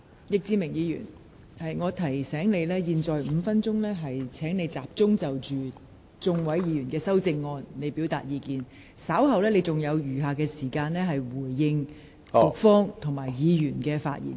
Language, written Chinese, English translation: Cantonese, 易志明議員，我提醒你，你應在這5分鐘的發言時間集中就多位議員的修正案表達意見，稍後你還有時間就局長及議員的發言答辯。, Mr Frankie YICK I have to remind you that in your five - minute speaking time you should devote to giving views on amendments proposed by Members . You still have time to reply to the speeches of the Secretary and Members later